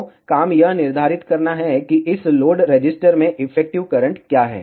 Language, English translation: Hindi, So, the job is to determine what is the effective current that flows into this load register